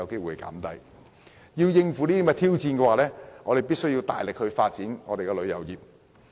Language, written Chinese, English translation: Cantonese, 為了應付這些挑戰，香港必須大力發展旅遊業。, To tackle these challenges Hong Kong must vigorously promote tourism